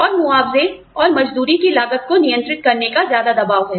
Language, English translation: Hindi, And, there is more pressure, to control the cost of wages, to control the compensation